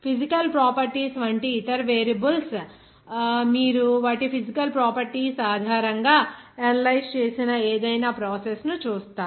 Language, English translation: Telugu, Other variables like physical properties as the variables you will see that any process you have to analyze based on their physical properties